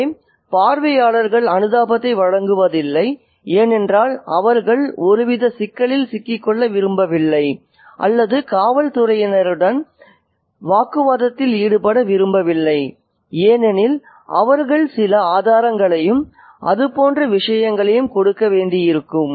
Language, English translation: Tamil, So, the narrator says that the onlookers do not offer sympathy because they do not want to get into some kind of trouble or some kind of work with the police because they might have to give some evidence and things like that